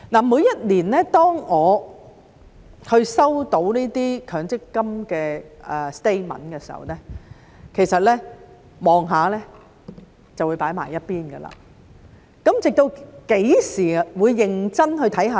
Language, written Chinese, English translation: Cantonese, 每年當我收到強積金的 statement 時，其實看一看便會放在一旁，直到何時才會認真地看呢？, Every year when I receive my MPF statement actually I will take a look at it and then put it aside . When will I look at it seriously?